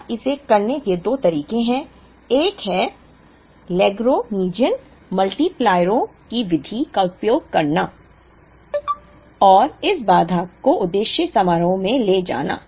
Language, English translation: Hindi, Now, there are two ways of doing it: one is to try and use the method of lagrangian multipliers and take this constraint into the objective function